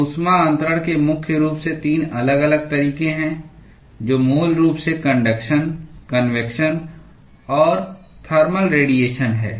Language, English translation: Hindi, So, there are primarily 3 different modes of heat transfer, which are basically conduction, convection and thermal radiation